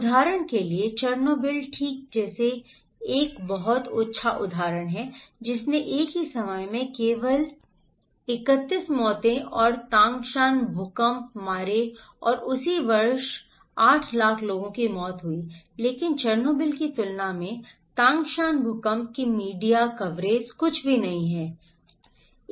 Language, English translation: Hindi, For example, a very good example like Chernobyl okay, that killed only 31 deaths and Tangshan earthquake at the same time and same year killed 800,000 people but compared to Chernobyl the media coverage of Tangshan earthquake is nothing, was nothing